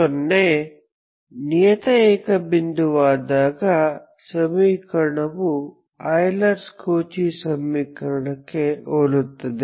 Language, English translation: Kannada, When 0 is a regular singular point the equation is much similar to Euler Cauchy equation